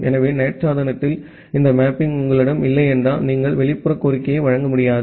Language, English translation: Tamil, So unless you have this mapping in the NAT device, you will not be able to serve a outside request